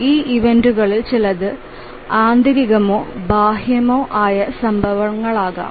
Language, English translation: Malayalam, Some of these events may be internal events or may be external events